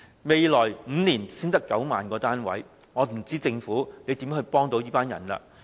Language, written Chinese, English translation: Cantonese, 未來5年才只提供9萬個單位，我真不知道政府能如何幫助他們。, Given the mere provision of 90 000 units in the coming five years I really do not know how the Government can help them